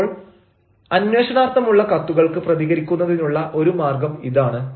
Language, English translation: Malayalam, so this is one way of responding to letters of enquiry